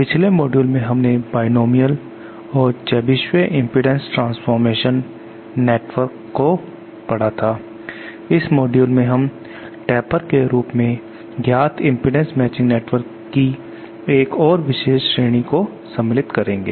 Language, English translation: Hindi, In the previous module we have covered on binomial and Chebyshev impedance transformation network, in this module we shall be covering another special category of impedance matching network known as Tapers